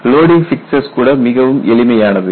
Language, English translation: Tamil, Even the loading fixtures are much simpler